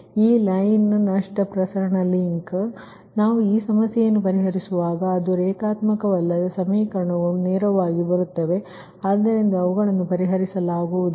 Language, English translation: Kannada, so question is that that when we will solve this problem, when we will this problem ah, it is non linear, equations will come directly cannot be solved, right